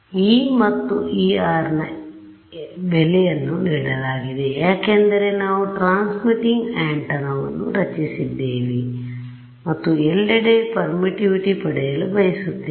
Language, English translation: Kannada, So, E is given to you, E incident is also given to you because you have designed the transmitting antenna right and you want to obtain permittivity everywhere ok